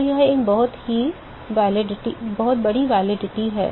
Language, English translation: Hindi, So, that is a pretty large validity